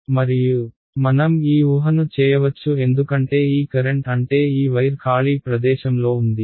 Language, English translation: Telugu, And, and we can make this assumption because this this current I mean this wire is lying in free space